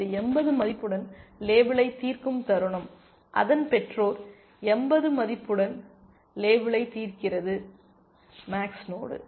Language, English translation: Tamil, The moment this gets label solved with a value of 80 its parent gets label solved with a value of 80, and when the, when a max node